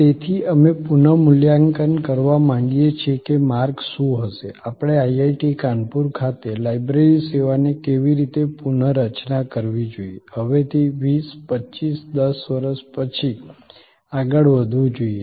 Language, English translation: Gujarati, So, we wanted to reassess that what will be the trajectory, how should we redesign the library service at IIT, Kanpur, going forward to say 20, 25, 10 years from now